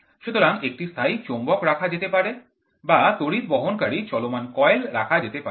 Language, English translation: Bengali, So, a permanent magnet is placed, or current carrying moving coil is there